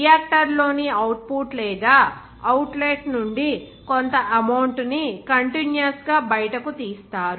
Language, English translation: Telugu, Some amount will be continuously taken out from the output or outlet in a reactor